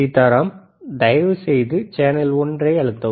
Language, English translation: Tamil, Sitaram, can you please press channel one